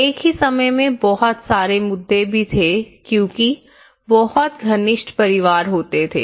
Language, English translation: Hindi, There are also some issues at the same time there is a very close knit families